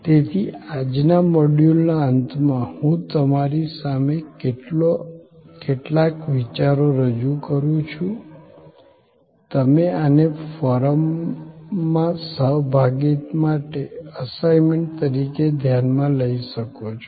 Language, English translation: Gujarati, So, at the end of today's module, I leave with you some thoughts, you can consider this as an assignment for participation in the forum